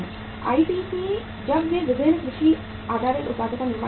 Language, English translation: Hindi, ITC when they manufacture different agriculture based products